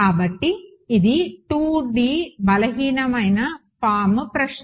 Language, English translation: Telugu, So, this is the 2D weak form question